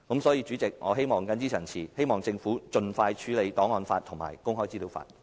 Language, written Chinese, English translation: Cantonese, 所以，主席，我謹此陳辭，希望政府盡快處理檔案法和公開資料法。, Therefore President with these remarks I hope that the Government will expeditiously deal with the making of an archives law and legislation on access to information